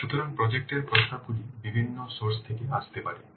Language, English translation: Bengali, So projects projects proposals may come from different sources